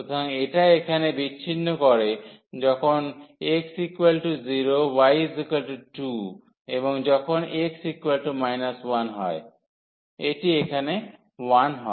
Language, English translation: Bengali, So, this intercept here when x is 0, the y value is 2 and when x is minus 1 this is 1 here